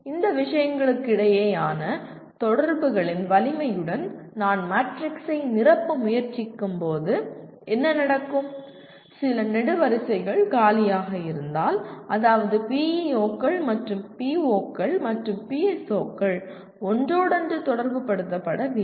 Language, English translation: Tamil, When I try to fill the matrix with the strength of correlation between these things what would happen is, if some columns are empty, that means PEOs and POs and PSOs are not correlated